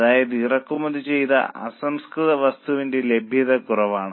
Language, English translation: Malayalam, That means that imported raw material is in short supply